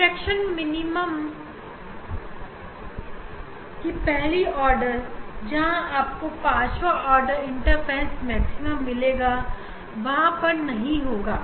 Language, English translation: Hindi, at the first order of diffraction minima where we supposed to get fifth orders interference maxima, but that will not be there